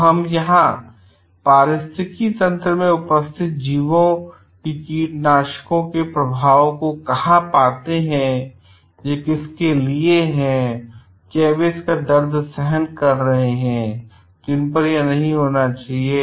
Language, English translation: Hindi, So, what we find over here the impact of pesticides on entities in the ecosystem where it is to whom it is not intended for and they are bearing the pain of it